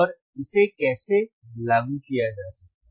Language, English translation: Hindi, And how it can be implemented